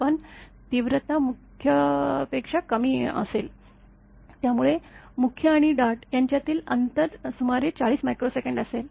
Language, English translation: Marathi, But intensity will be less than the main one; so, then gap between the main and dart will be about 40 micro second; very small time